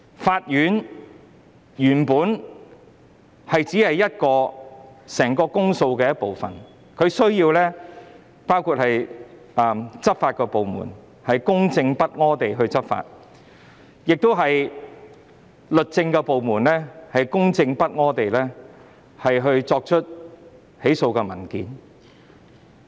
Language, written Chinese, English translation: Cantonese, 法院只是整個公訴程序的一部分，當中還需要執法部門公正不阿地執法，以及律政部門公正不阿地提出起訴。, The court is only part of the entire public prosecution process and this process also requires impartial law enforcement and impartial prosecution on the part of law enforcement agencies and the justice department respectively